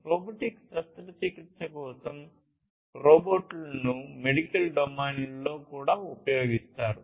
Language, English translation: Telugu, Robots are also used in medical domain for robotic surgery